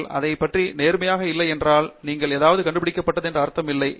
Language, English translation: Tamil, If you are not being honest about it, there is no meaning in saying you discovered something in it